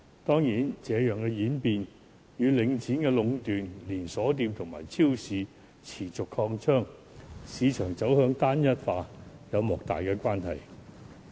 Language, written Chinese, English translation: Cantonese, 當然，這樣的演變，與領展壟斷、連鎖店及超市持續擴張、市場走向單一化有莫大的關係。, Certainly this development is also closely related to the monopolization of Link REIT and chain stores as well as the continual expansion of supermarkets and the uniformity of markets